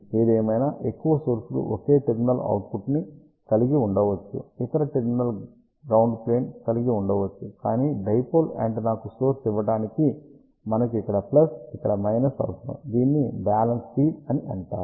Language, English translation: Telugu, However, majority of the sources may have a single ended output other terminal being a ground plane, but to feed the dipole antenna we need plus over here minus over here which is known as balanced feed